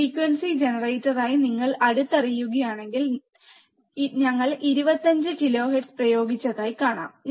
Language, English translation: Malayalam, If you closely see as a frequency generator, you can see that we have applied 25 kilohertz, right